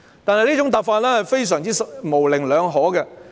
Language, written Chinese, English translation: Cantonese, 但是，這種答覆非常模棱兩可。, However such a reply is rather ambiguous